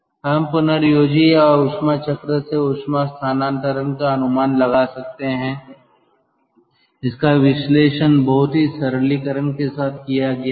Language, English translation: Hindi, one can estimate the heat transfer from regenerator or heat wheel ah ah, the analysis is made up a made with a lot of simplification